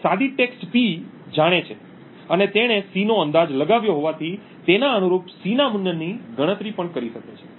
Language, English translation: Gujarati, Since he knows the plane text P and he has guessed C, he can also compute the corresponding C value